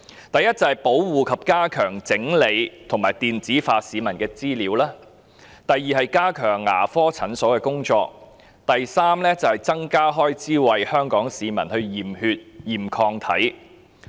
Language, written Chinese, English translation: Cantonese, 第一是保護、加強整理及電子化市民的資料；第二是加強牙科診所的工作；第三是增加開支為香港市民驗血和檢驗抗體。, DH should firstly protect enhance the management of and digitize the data of the public; secondly enhance the work of dental clinics; thirdly increase the expenditure on conducting blood tests and antibody tests for Hong Kong citizens